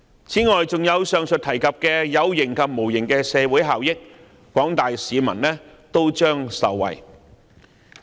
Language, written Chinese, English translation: Cantonese, 此外，還有上述提及的有形及無形的社會效益，廣大市民都將受惠。, Besides the tangible and intangible social benefits mentioned above will also be favourable to the general public